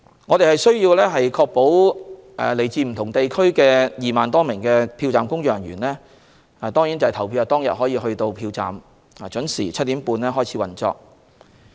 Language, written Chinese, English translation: Cantonese, 我們需要確保來自不同地區的2萬多名票站工作人員在投票當天能抵達票站，讓票站準時於7時30分開始運作。, We have to ensure that more than 20 000 polling station staff from various districts can arrive at the polling stations on the polling day so that the polling stations will open on time at 7col30 am